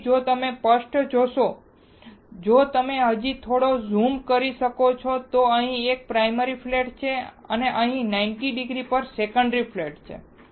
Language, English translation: Gujarati, So, if you see clearly, if you can still little bit zoom yeah, there is a primary flat here and secondary flat here at 90 degree